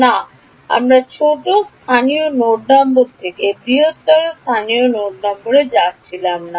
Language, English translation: Bengali, No we were going from smaller local node number to larger local node number right